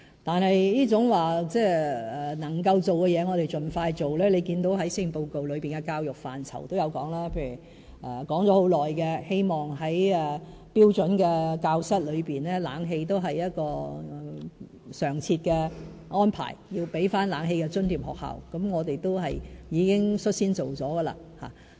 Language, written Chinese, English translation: Cantonese, 但是，能夠做的事我們會盡快做，這在施政報告的教育範疇也有提到，例如提出已久、希望在標準教室安裝冷氣成為常設安排，要給學校冷氣費津貼，我們已經率先進行。, That said we will still proceed with what we can do as early as possible . I also mention this in the chapter on education in the Policy Address . For instance we have proactively responded to the long - standing aspiration of regularizing the provision of air - conditioning systems for standard classrooms and to do so we propose to provide an air - conditioning grant for schools